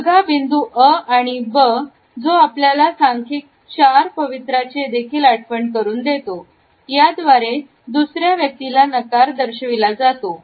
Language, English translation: Marathi, In the knee point A and B which also remind us of the numerical 4 posture; we find that an attitude of rejecting the other person is shown